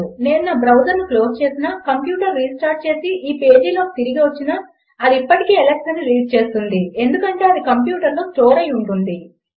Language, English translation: Telugu, Even if I close my browser, restart my computer and came back into this page, it will still read Alex because its been stored into the computer